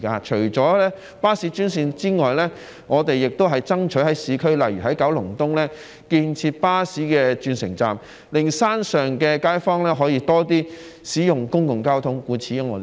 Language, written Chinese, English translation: Cantonese, 除了巴士專線之外，我們也爭取在市區，例如在九龍東建設巴士轉乘站，令山上街坊可以多些使用公共交通。, In addition to bus - only lanes we are also striving for bus interchange stations in urban areas for example in Kowloon East so that residents living uphill may use public transport more often